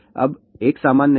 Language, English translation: Hindi, Now, 1 is normal